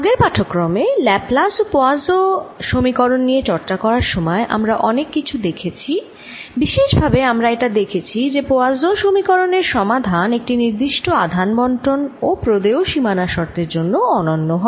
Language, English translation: Bengali, in the previous lecture, while discussing laplace and poisson's [U1]equations, what we saw, we, we, we saw many things, but we saw in particular that poisson's[U2] equation has unique solution for a given charge distribution and boundary condition